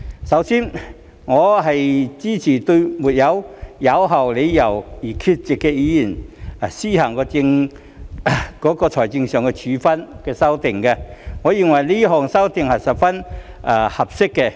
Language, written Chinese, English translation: Cantonese, 首先，我支持對並無有效理由而缺席的議員施行財政處分的修訂，我認為這項修訂是十分合適的。, To begin with I support the amendment to impose financial penalties on Members absent without valid reasons and I find this amendment very appropriate